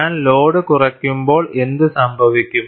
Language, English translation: Malayalam, And when I reduce the load, what would happen